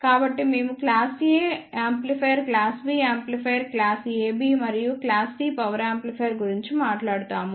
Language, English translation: Telugu, So, we will talk about class A amplifier, class B amplifier, class AB, and class C power amplifier